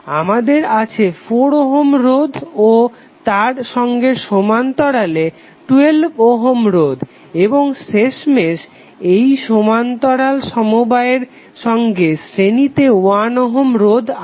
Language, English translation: Bengali, We have to with only the forum registrants in parallel with 12 ohm resistance and then finally the parallel combination in series with 1 ohm resistance